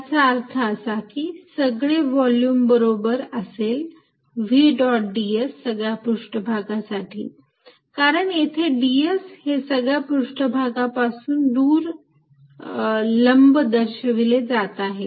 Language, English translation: Marathi, And that means, entire volume is going to be equal to v dot d s over the outside surfaces, because d s is all pointing a perpendicular pointing away from this surface